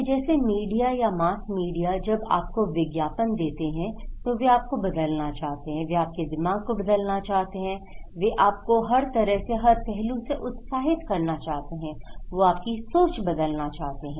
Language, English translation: Hindi, So, like media like mass media when they give you advertisement, they want to change you, they want to change your mind, they want to cover you in every way every aspect, they want to brainwash you